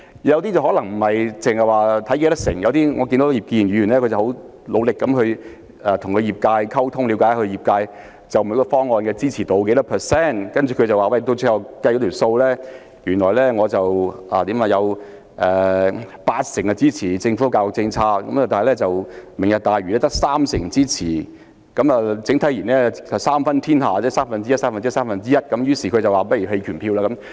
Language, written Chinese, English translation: Cantonese, 有些議員可能不只參考人數比例，例如葉建源議員，我看到他很努力與業界溝通，了解他們就每項方案的支持度有多少，最後得出結論，有八成支持政府的教育政策，但"明日大嶼"計劃只獲三成人的支持，整體而言，是三分天下，即各個項目的支持度為三分之一、不如投下棄權票。, For example Mr IP Kin - yuen has made great efforts to communicate with the education sector to find out the level of support for each proposal before reaching a conclusion . He said that 80 % of members of the education sector supported the education policies of the Government but only 30 % supported the Lantau Tomorrow project . On the whole the opinions were divided and the level of support for each proposal on average was only 30 % and so he might as well abstain from voting